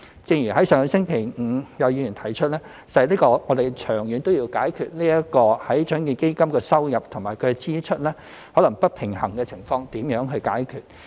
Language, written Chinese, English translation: Cantonese, 正如上星期五有議員提出，實在我們長遠也要思考如何解決獎券基金收入和支出可能不平衡的情況。, Last Friday some Members pointed out that we should consider how to address the potential financial imbalance of the Lotteries Fund in the long run